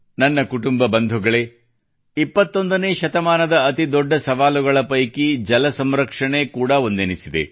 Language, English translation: Kannada, My family members, one of the biggest challenges of the 21st century is 'Water Security'